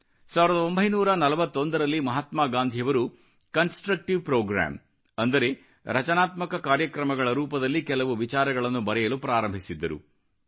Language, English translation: Kannada, In 1941, Mahatma Gandhi started penning down a few thoughts in the shape of a constructive Programme